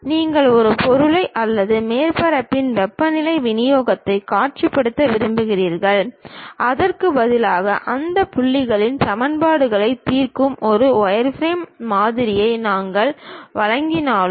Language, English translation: Tamil, You would like to visualize an object or perhaps the temperature distribution on the surface; instead though we supply wireframe model which solves the equations at those points